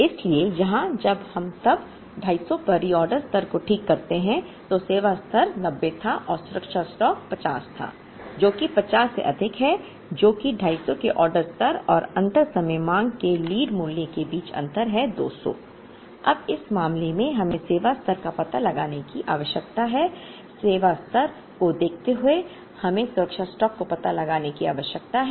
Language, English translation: Hindi, So, here when we then when we fix the reorder level at 250, the service level was 90 and the safety stock was 50 which is 50 more than which is a difference between the reorder level of 250 and the expected value of lead time demand of 200